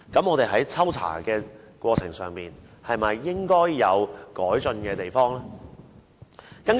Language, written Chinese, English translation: Cantonese, 我們在抽查的過程中，是否應該有改進的地方呢？, In the course of random inspection are there areas which should be improved?